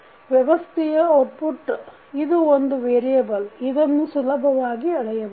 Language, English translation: Kannada, An output of a system is a variable that can be measured